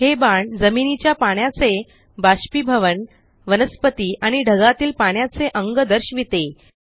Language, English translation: Marathi, These arrows show evaporation of water from land, vegetation and water bodies to the clouds